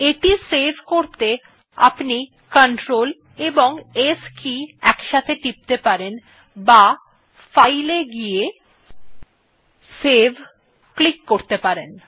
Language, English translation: Bengali, To save it, I can press Clt+s or goto File and then click on save